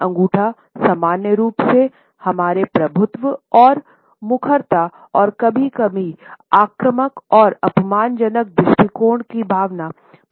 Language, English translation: Hindi, Thumbs in general display our sense of dominance and assertiveness and sometimes aggressive and insulting attitudes